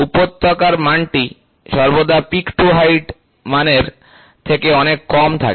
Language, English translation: Bengali, The valley is always the value is always much less than peak to height value